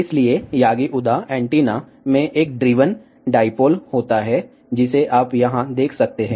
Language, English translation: Hindi, So, yagi uda antenna consist of one driven dipole, which you can see over here